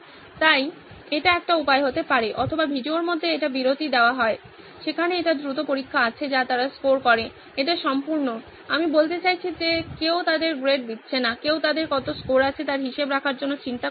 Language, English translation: Bengali, So that could be one way or in between the video it is paused, there is a quick test that they score, it is totally, I mean nobody is grading them, nobody is figuring out to keeping track of how much score they have